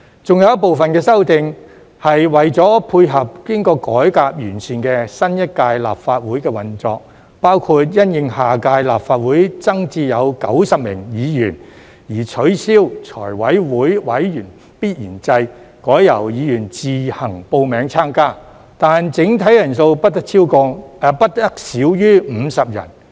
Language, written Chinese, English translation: Cantonese, 還有一部分的修訂是為了配合經過改革完善的新一屆立法會的運作，包括因應下屆立法會增至90名議員而取消財務委員會委員必然制，改由議員自行報名參加，但整體人數不得少於50人。, Another group of amendments is to cater for the operation of the new Legislative Council after reform and improvement including the abolition of the mandatory membership and the introduction of voluntary membership for the Finance Committee with a membership size of not less than 50 members in view of the increase of the number of Members to 90 in the next Legislative Council